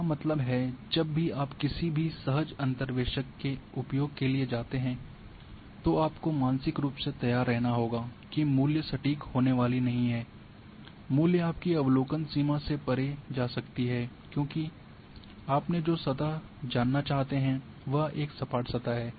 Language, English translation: Hindi, That means, whenever you go for any smooth interpolators you have to prepare mentally that the values are not going to be exact values, values may go beyond your observational ranges, because the surface you have asked is a smoother surface